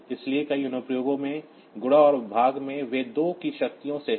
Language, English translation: Hindi, So, in many of the applications, so the multiplication and division, they are by powers of 2